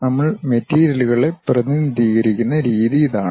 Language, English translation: Malayalam, This is the way we represent materials